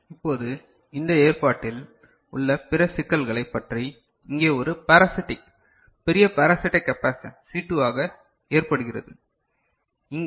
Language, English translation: Tamil, Now, regarding the other issues that are there with this arrangement so, here there is a parasitic, large parasitic capacitance that occurs as C2, over here